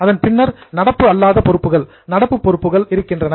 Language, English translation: Tamil, That comes first, then non current liabilities, then current liabilities